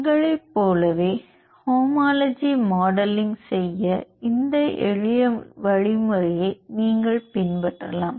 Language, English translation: Tamil, You can follow this simple instruction to perform the homology modeling as we are going to discuss now